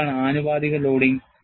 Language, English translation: Malayalam, And what is proportional loading